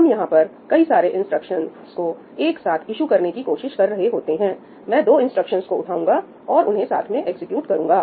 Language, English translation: Hindi, We are trying to issue multiple instructions together I am trying to pick up 2 instructions and execute them together